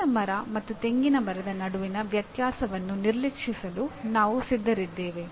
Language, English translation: Kannada, I am willing to ignore the differences between mango tree and a coconut tree